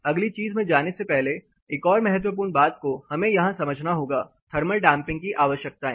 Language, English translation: Hindi, Before getting into the next thing another important factor that we have to understand here, thermal damping requirements